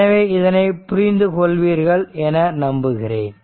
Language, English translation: Tamil, So, hope you have understood hope you are understanding this